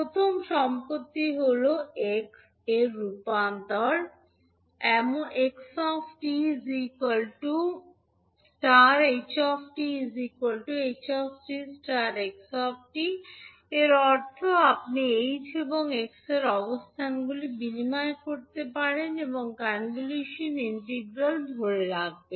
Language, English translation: Bengali, So first property is convolution of h and x is commutative means you can exchange the locations of h and x and the convolution integral will hold